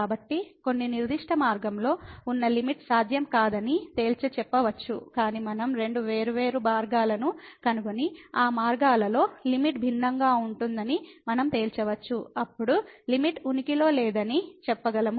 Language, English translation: Telugu, So, concluding that the limit along some particular path is not possible, but what we can conclude that if we find two different paths and along those paths, the limit is different then we can say that the limit does not exist